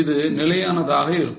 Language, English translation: Tamil, It remains constant